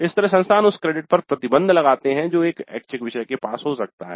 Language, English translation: Hindi, Like this institutes impose restrictions on the credits that an elective may have